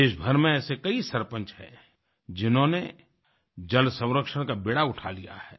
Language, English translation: Hindi, There are several Sarpanchs across the country who have taken the lead in water conservation